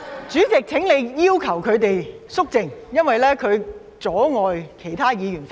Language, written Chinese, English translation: Cantonese, 主席，請你要求他們肅靜，因為他們阻礙我發言。, President please ask them to keep quiet as they are obstructing my speech